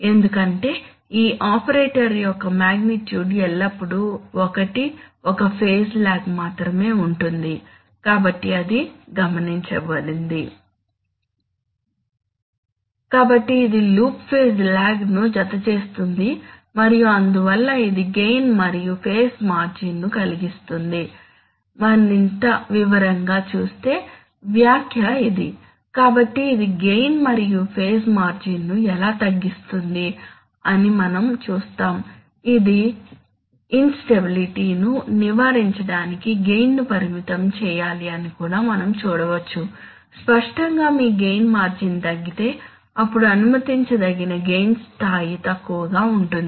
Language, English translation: Telugu, Let us, so this adds to loop phase lag and therefore here is the comment which will see in greater detail that it reduces gain and phase margin, so how does it, how does it reduce gain and phase margin we will see that, it also says that the, that the gain has to be limited to avoid instability, obviously if you are if your, if your gain margin is reduced then the allowable level of gain becomes lower